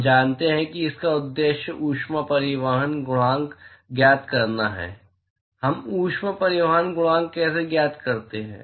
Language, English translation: Hindi, We know the objective is to find heat transport coefficient; how do we find heat transport coefficient